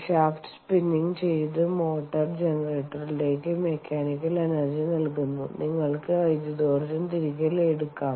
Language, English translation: Malayalam, when you put mechanical energy into the motor generator, by spinning the shaft you can draw electrical energy back out